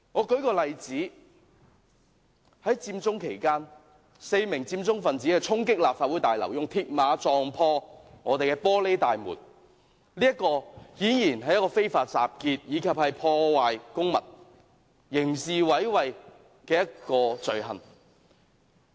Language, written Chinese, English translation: Cantonese, 舉例來說，在佔中期間 ，4 名佔中分子衝擊立法會大樓，以鐵馬撞破玻璃大門，顯然犯了非法集結、破壞公物及刑事毀壞的罪行。, For instance during the Occupy Central four Occupy Central participants stormed the Legislative Council Complex and used mills barriers to ram the glass entrance doors . They had obviously committed the offences of unlawful assembly vandalism and criminal damage